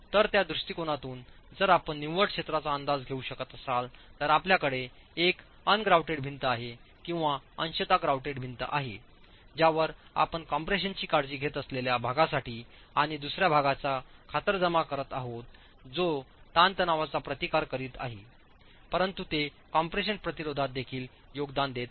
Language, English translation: Marathi, So, from that perspective, if you can make an estimate of net area, depending on whether you have an ungrouted wall or a partially grouted wall or fully grouted wall, you are accounting for the part that is taking care of compression and the second part which is therefore tension but is also contributing to the compression resistance